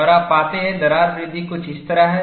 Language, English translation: Hindi, And you find, the crack growth is something like this